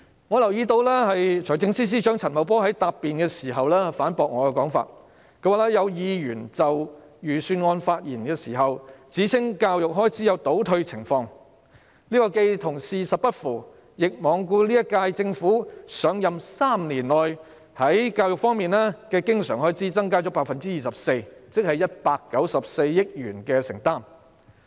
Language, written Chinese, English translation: Cantonese, 我留意到財政司司長陳茂波在答辯時反駁我的說法，他說："有議員在上星期就預算案發言時指稱教育開支有'倒退'情況，這既與事實不符，亦罔顧這屆政府上任3年內，在教育方面的經常開支增加了 24%， 即194億元的承擔。, I have noticed that Financial Secretary Paul CHAN refuted my argument in his reply . He said to this effect Speaking on the Budget last week a Member claimed that there was retrogression in education expenditure . This does not tally with the fact and has disregarded the 24 % increase in recurrent expenditure on education amounting to a commitment of 19.4 billion within three years since the current - term Government assumed office